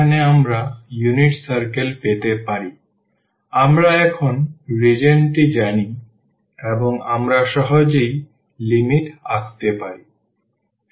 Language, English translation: Bengali, So, we know the region now and we can easily draw the limits